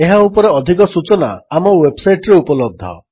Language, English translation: Odia, More information on the same is available from our website